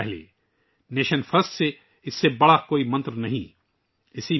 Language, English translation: Urdu, Rashtra Pratham Nation First There is no greater mantra than this